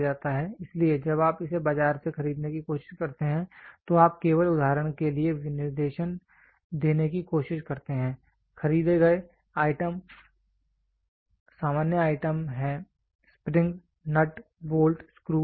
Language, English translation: Hindi, So, when you try to buy it from the market you try to give a specification only for example, bought out; bought out items are general items are spring, nut, bolt, screw